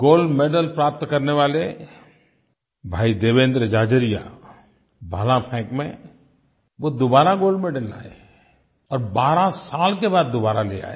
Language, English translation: Hindi, Brother Devendra Jhajharia won the gold medal in Javelin throw and repeated his gold winning performance after 12 years